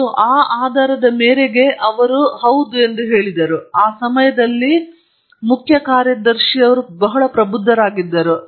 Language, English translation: Kannada, And just on that basis, he said yes, he was very enlightened chief secretary that time